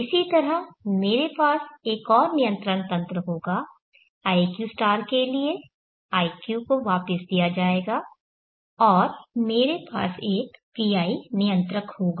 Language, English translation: Hindi, Similarly, I will have another control mechanism for iq*, iq is fed back and I will have a PI controller